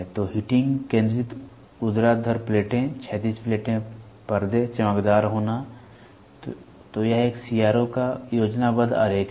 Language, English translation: Hindi, So, heating, focusing, vertical plates, horizontal plates, screen, luminous happen; so, this is the schematic diagram of a CRO